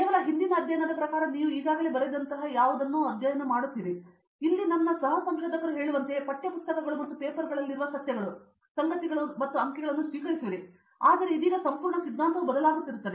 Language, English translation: Kannada, Not just that in the previous studies you will be studying something that is already written, just like my fellow researchers told here will be just accepting that facts, facts and figures in the text books and the papers, but now that complete ideology have change to question everything that you see